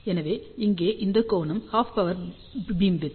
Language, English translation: Tamil, So, this angle here is half power beamwidth